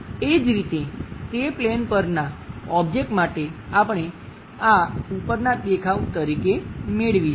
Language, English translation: Gujarati, Similarly, for the object onto that plane, we may be getting this one as the top view